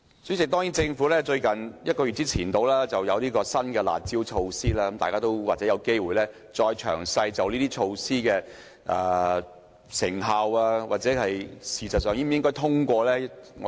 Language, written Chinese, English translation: Cantonese, 主席，政府在大約1個月前推出新的"辣招"，大家或有機會再詳細研究這些措施的成效，以及是否應該通過這些措施。, President the Government introduced another curb measure about a month ago . We may discuss in detail the efficacy of this measure and if it should be endorsed when we have the chance to hold the discussion